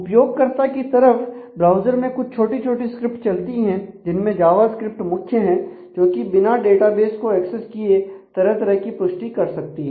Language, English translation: Hindi, So, in the client side in the browser there are some small script that can run a most typically it is a Java script which can too different authentication which is possible without actually accessing the data in the database